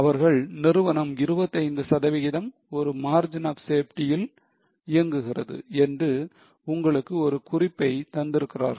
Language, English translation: Tamil, They have given a hint to you that company operates at a margin of safety of 25%